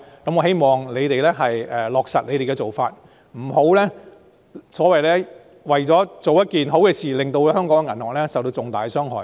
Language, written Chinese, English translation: Cantonese, 我希望政府能落實這些做法，不要為了做一件好事而令香港銀行受到重大的傷害。, I hope the Government will implement these practices and refrain from causing major harm to the banks in Hong Kong in order to fulfil a good purpose